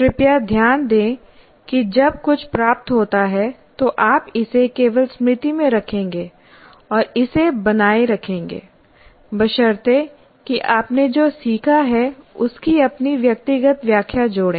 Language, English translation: Hindi, Please note that while something is getting, you will only put it into the memory and retain it provided that you add your personal interpretation of what has been learned